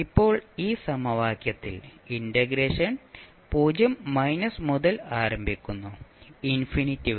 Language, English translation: Malayalam, Now, what we saw in this equation, the integration starts from 0 minus to infinity